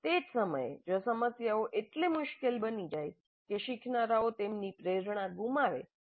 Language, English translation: Gujarati, At the same time if the problems become so difficult that learners lose their motivation then it will become counterproductive